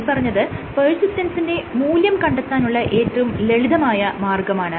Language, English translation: Malayalam, This is one of the simplest ways to quantify persistence